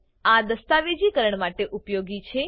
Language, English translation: Gujarati, It is useful for documentation